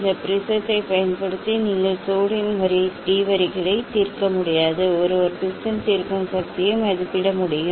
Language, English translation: Tamil, using this prism, you cannot resolve sodium d lines one can estimate the resolving power of the prism